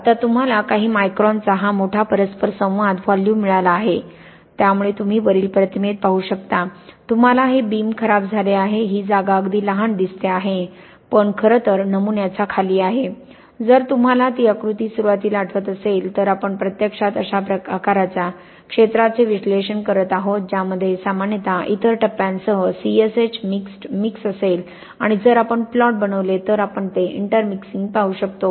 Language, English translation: Marathi, Now because you have got this large interaction volume of a few microns, so you can see you have got this beam damage, this spot looks very small but in fact underneath the sample, if you remember that diagram at the beginning we are actually analysing an area that is sort of this kind of size, which will usually contain C S H intermixed mix with other phases and we can look at that intermixing if we make these kind of plots over here